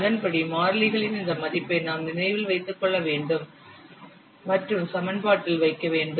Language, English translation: Tamil, Accordingly, the value of the constants, you have to remember and put in the equation